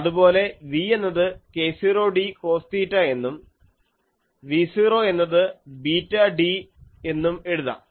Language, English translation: Malayalam, And v you are introducing as k 0 d cos theta v 0 is beta d